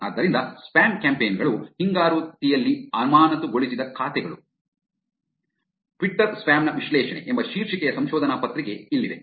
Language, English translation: Kannada, So spam campaigns, here is a paper which is titles ‘Suspended Accounts in Retrospect: An analysis of Twitter Spam’